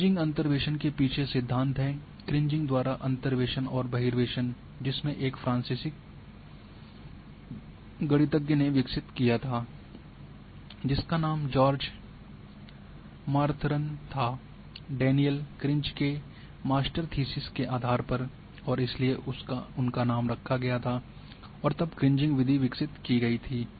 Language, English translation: Hindi, The theory behind this Kriging interpolation that the interpolation and extrapolation by Kriging was developed by a French mathematician whose name was Georges Martheron on based on the Master’s thesis of Daniel Krige, and so they his named was carried and then Kriging method was developed